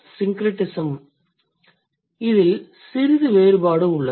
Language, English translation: Tamil, The second syncretism is related case